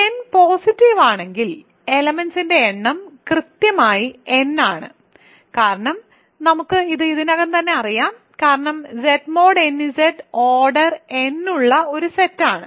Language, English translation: Malayalam, So, if n is positive, then the number of elements is exactly n that is because we know this already because Z mod n Z is a group of order n right